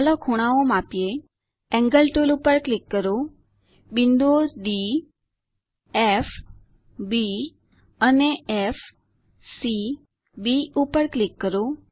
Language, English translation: Gujarati, Lets Measure the angles, Click on the Angle tool, click on the points D F B and F C B